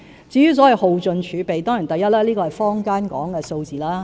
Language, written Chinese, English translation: Cantonese, 至於所謂耗盡儲備，首先，這是坊間所說的數字。, As for the alleged exhaustion of the fiscal reserve first the figure is merely conjecture in the community